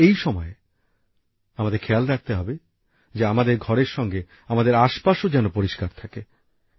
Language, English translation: Bengali, But during this time we have to take care that our neighbourhood along with our house should also be clean